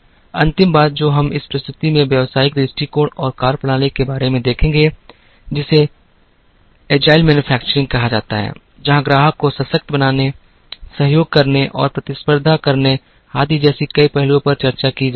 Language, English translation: Hindi, The last thing that we would see in this presentation about business perspectives and methodologies is, what is called agility or agile manufacturing, where several aspects such as empowering the customer, cooperate and compete, etc are being discussed